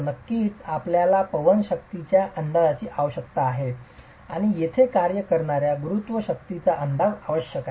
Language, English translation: Marathi, Of course you need an estimate of the wind force and you need an estimate of the gravity forces acting here